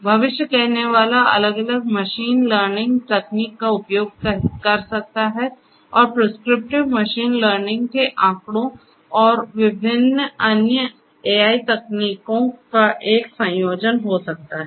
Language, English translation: Hindi, Predictive one could use different you know machine learning techniques and so on and prescriptive could be a combination of machine learning statistics and different other AI techniques